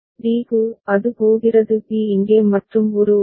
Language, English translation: Tamil, For d, it is going to b over here and a over there